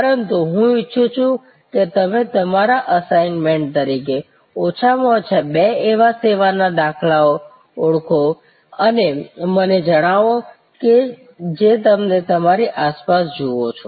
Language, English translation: Gujarati, But, I would like you as your assignment to identify and tell me at least two such service instances that you see around you